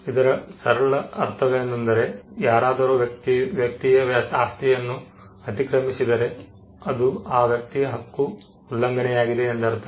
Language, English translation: Kannada, It simply means that, if somebody intrudes into the property that is a violation of that person’s right